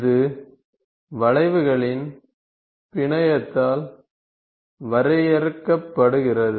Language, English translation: Tamil, And which is defined, by a network of curves